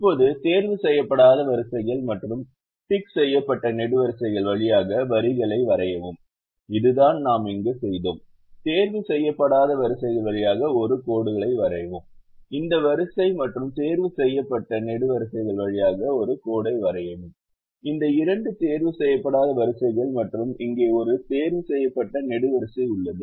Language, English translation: Tamil, now draw lines through unticked rows and unticked columns, which is what we did here: draw a lines through unticked rows, draw a lines through unticked rows this row and ticked columns this two unticked rows and here is a ticked column